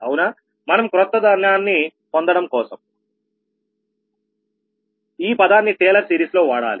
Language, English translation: Telugu, we have to obtain a new we may use to term in taylor series